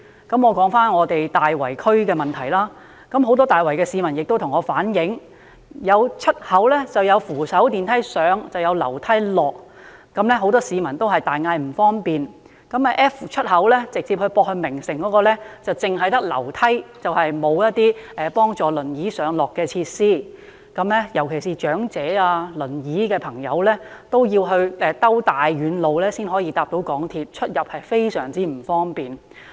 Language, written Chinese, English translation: Cantonese, 我說回所屬的大圍區問題，很多大圍市民向我反映，有出口設有扶手電梯上，但卻要下樓梯，令很多市民大呼不便，而直接接駁名城的 F 出口亦只有樓梯，卻欠缺幫助輪椅上落的設施，長者和乘坐輪椅的朋友要繞遠路才能夠乘搭港鐵，出入非常不便。, Many Tai Wai residents have relayed to me that some exits have escalators going upwards to ground level but only provide stairways for going downwards . Many residents find this very inconvenient . Exit F which directly connects to Festival City only has a stairway and does not have facilities to assist wheelchair users